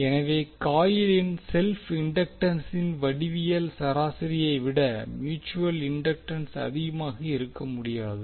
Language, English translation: Tamil, So that means the mutual inductance cannot be greater than the geometric mean of the self inductances of the coil